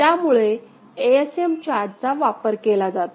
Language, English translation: Marathi, So, ASM chart is preferred for that ok